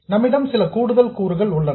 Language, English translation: Tamil, We have some extra components